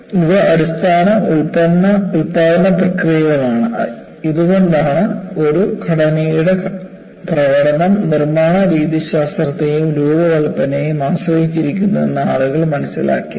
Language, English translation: Malayalam, See, these are basic manufacturing processes; see, this is the reason people realized the performance of a structure depends, both on the manufacturing methodology and the design